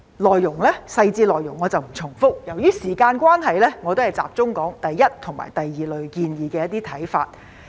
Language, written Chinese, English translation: Cantonese, 我不重複細緻內容，由於時間關係，我集中討論對第一類和第二類建議的一些看法。, I do not intend to repeat the details but will focus on some of my views on the first and second groups of proposals due to time constraint